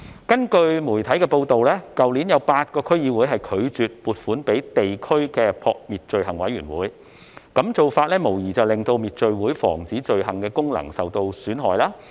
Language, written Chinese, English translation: Cantonese, 據媒體報道，去年有8個區議會拒絕撥款予地區滅罪會，這無疑令到滅罪會防止罪行的功能受損。, There have been media reports that eight DCs refused to make financial allocations to the district FCCs last year . That has undoubtedly undermined FCCs function of crime prevention